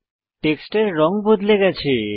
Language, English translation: Bengali, The color of the text has changed